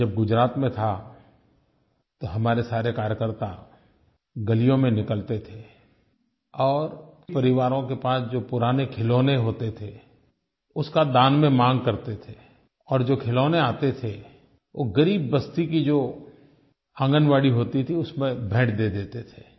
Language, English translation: Hindi, When I was in Gujarat, all our workers used to walk the streets seeking donations of old toys from families and then presented these toys to Anganwadis in poor neighbourhoods